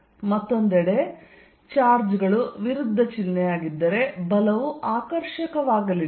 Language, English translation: Kannada, On the other hand, if the charges are of opposite sign, then the force is going to be attractive